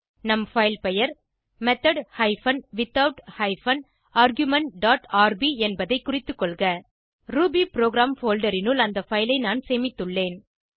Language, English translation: Tamil, Please note that our filename is method hyphen without hyphen argument dot rb I have saved the file inside the rubyprogram folder